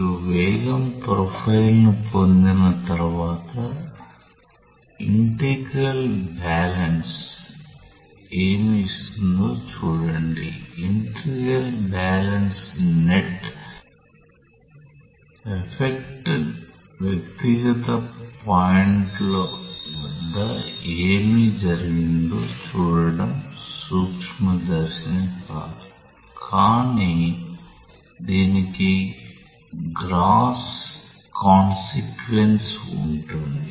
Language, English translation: Telugu, But once you get a velocity profile see that is what the integral balance is giving, integral balance the net effect it is not microscopic looking into what has happened individual points, but it has a gross consequence